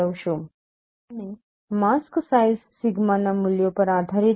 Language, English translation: Gujarati, And the mask size depends upon the values of sigma